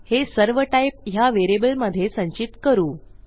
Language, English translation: Marathi, Let me just save this to a variable